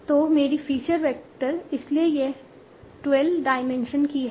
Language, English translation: Hindi, So my feature vector, so it's of 12 dimension